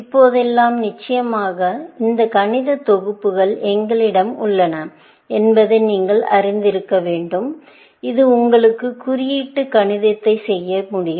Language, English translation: Tamil, Nowadays, of course, you must be familiar that we have these mathematical packages, which can do symbolic mathematics for you